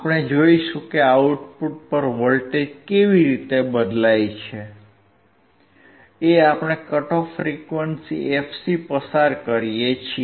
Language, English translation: Gujarati, We will see how the voltage at the output changes when we go or when we when we pass the cut off frequency fc